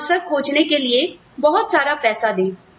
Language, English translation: Hindi, And, give them a lot of money, to explore their options